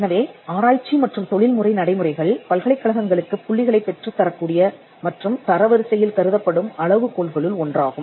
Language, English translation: Tamil, So, Research and Professional Practices is one of the criteria for which universities get points and which is considered into ranking